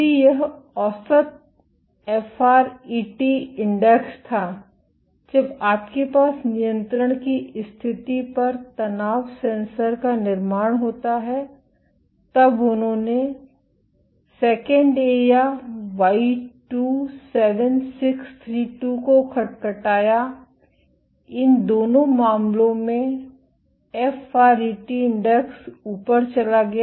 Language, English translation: Hindi, If this was the average FRET index when you have the tension sensor construct on the control conditions when they knocked down IIA or Y27632, in both these cases the FRET index went up